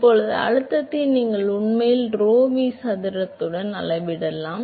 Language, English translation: Tamil, Now, pressure you can actually scale with rho v square